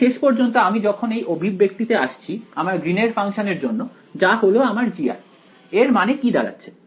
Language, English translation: Bengali, So, finally, by the time I come to the expression for Green’s function over here G of r, what is the meaning of this r